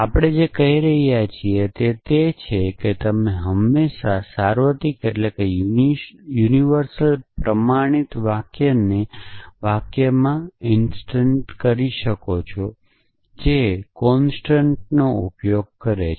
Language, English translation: Gujarati, So, what we are saying is that you can always instantiate a universally quantified sentence to a sentence, which uses the constant essentially